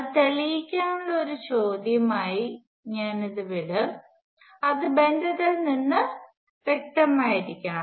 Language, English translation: Malayalam, I will leave it as an exercise for you it prove it, it must be again pretty obvious from the relationship